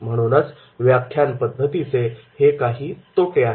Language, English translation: Marathi, But this lecture method is having the several disadvantages